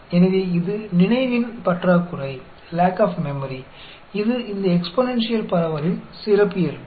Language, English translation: Tamil, So, that is the lack of memory, which is characteristic of this exponential distribution